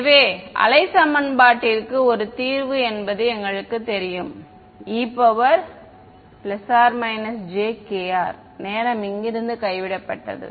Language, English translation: Tamil, So, we know for the wave equation is a solution is exponentially to the plus minus j k r time has been dropped out of here